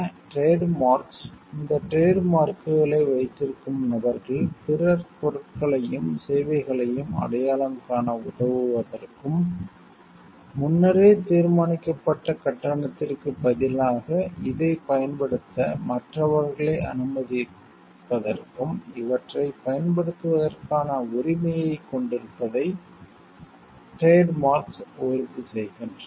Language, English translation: Tamil, Trademarks ensure that the people who own these trademarks have the right to use these to help others identify the goods and services, and also to allow others to use this in return of a predetermined payment